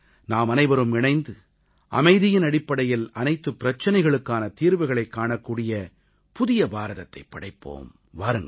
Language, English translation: Tamil, Come, let's together forge a new India, where every issue is resolved on a platform of peace